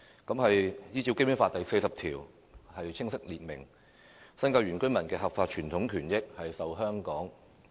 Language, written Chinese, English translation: Cantonese, 《基本法》第四十條清楚訂明，"'新界'原居民的合法傳統權益受香港特......, Article 40 of the Basic Law explicitly provides that The lawful traditional rights and interests of the indigenous inhabitants of the New Territories shall be protected by the [HKSAR]